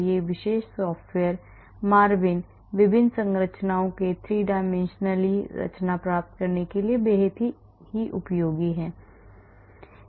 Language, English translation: Hindi, so this particular software the MARVIN is extremely useful for getting 3 dimensionally conformation of various structures